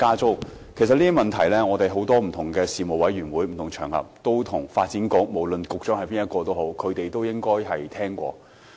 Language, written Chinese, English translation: Cantonese, 凡此種種的問題，我們曾在不同的事務委員會會議及場合上向發展局局長反映，不論是誰擔任局長。, We have reflected such problems to the Secretary for Development regardless of who he is at various panel meetings and also on different occasions